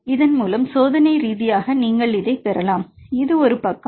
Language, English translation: Tamil, So, experimentally you can get this is one side